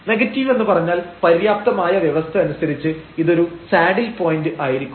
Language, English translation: Malayalam, So, negative means, as per the sufficient conditions now, this will be a saddle point